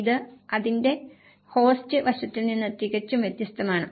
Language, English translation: Malayalam, It is completely different from the host aspect of it